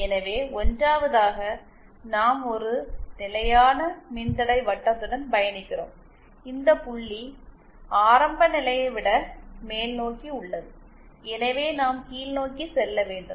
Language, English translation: Tamil, So, at 1st we travel along a constant resistance circle and this point is upwards than the origin, so we have to go downward